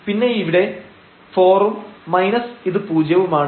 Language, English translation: Malayalam, So, we will get this minus 2 minus 2